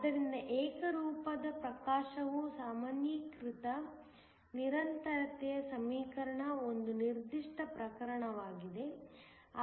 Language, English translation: Kannada, So, uniform illumination is then just a specific case of the generalized continuity equation